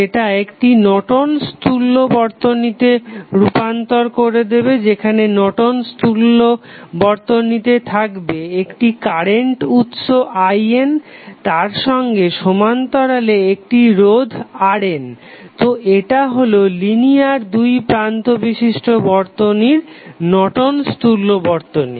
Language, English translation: Bengali, That you will change the circuit to a Norton's equivalent where the Norton's equivalent would be looking like this here in this case you will have current source I N in parallel with one resistance R N so this is your Norton's equivalent of the circuit which is linear two terminal